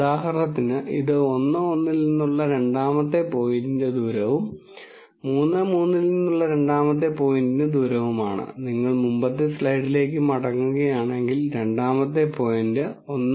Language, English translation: Malayalam, So, for example, this is a distance of the second point from 1 1 and this is a distance of the second point from 3 3 and if you go back to the previous slide, the second point is the second point is actually 1